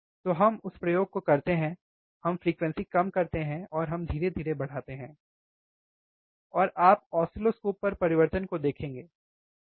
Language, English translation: Hindi, So, let us do that experiment, let us bring the frequency low and let us increases slowly, and you will see on the oscilloscope the change, alright